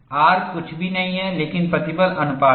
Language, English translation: Hindi, R is nothing but stress ratio